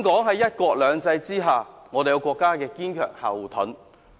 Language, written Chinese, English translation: Cantonese, 在"一國兩制"下，香港有國家作為堅強後盾。, Under one country two systems Hong Kong has the strong backing of the country